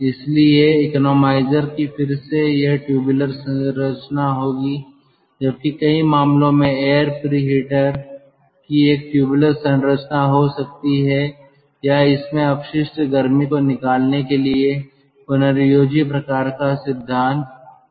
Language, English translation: Hindi, so ah, economizers ah, we will have ah again, this tubular structure, whereas air preheator in many cases it can have a tubular structure or it can have some sort of a regenerative kind of principle for, ah, extracting waste heat